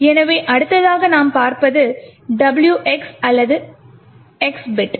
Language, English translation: Tamil, So, the next thing which we will look at is the WX or X bit